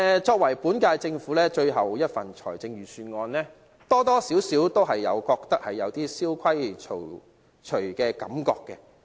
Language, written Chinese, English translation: Cantonese, 這是本屆政府最後一份預算案，多多少少予人有點蕭規曹隨的感覺。, Since this is the last Budget of the incumbent Government the initiatives are somehow familiar to us